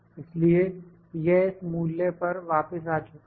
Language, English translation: Hindi, So, it has returned back to this value